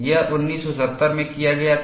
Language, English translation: Hindi, This was done in 1970